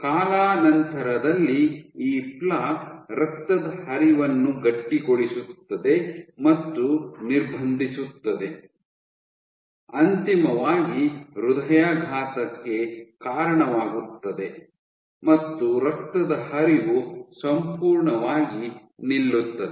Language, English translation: Kannada, So, over time this plaque becomes overtime your plaque stiffens and restricts blood flow eventually causing a heart attack, your blood flow is completely gone